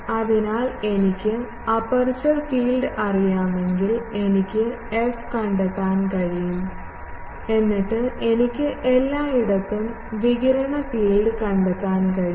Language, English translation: Malayalam, So, if I know aperture field, I can find f and then I can find the radiated field everywhere